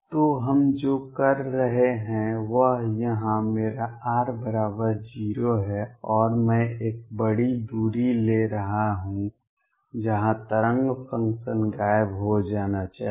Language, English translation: Hindi, So, what we are doing is here is my r equals 0, and I am taking a large distance out where wave function is supposed to vanish